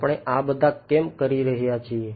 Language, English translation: Gujarati, Why are we doing all of these